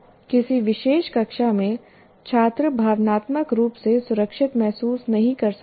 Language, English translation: Hindi, In a particular classroom, the student may not feel emotionally secure